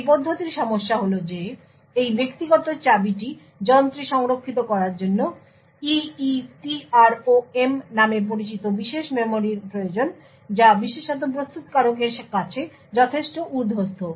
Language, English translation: Bengali, The problem with this approach is that this private key is stored in the device requires special memory known as EEPROM, which is considerably overhead especially to manufacturer